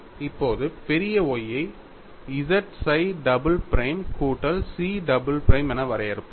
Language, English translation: Tamil, Now, let us define capital Y as z psi double prime plus chi double prime